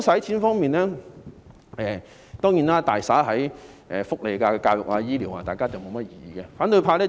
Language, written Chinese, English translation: Cantonese, 政府將撥款大灑在社會福利、教育和醫療方面，大家不會有任何異議。, The Government has allocated generous funding for social welfare education and health care . Honourable colleagues will not have any disagreement about it